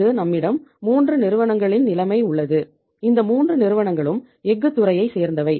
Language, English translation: Tamil, We have the situation of the 3 companies here and these 3 companies belong to the same sector that is the steel sector